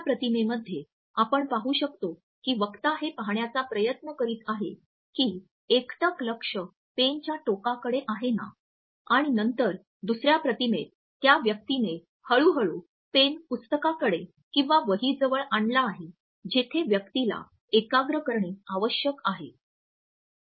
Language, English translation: Marathi, As you can see in the 1st image the speaker is trying to ensure that the gaze is shifted towards the tip of the pen and then in the 2nd image the person has gradually brought the pen to the point in the book or the notebook where the person has to concentrate